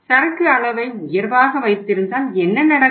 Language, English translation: Tamil, So if you keep the inventory level high right